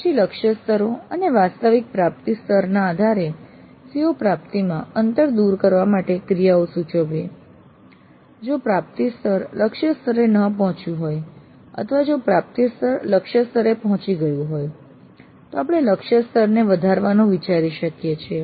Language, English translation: Gujarati, Then based on the target levels and the actual attainment levels proposing actions to the bridge the gaps in the CO attainments in case the attainment level has not reached the target levels or if the attainment levels have reached the target levels we could think of enhancing the target levels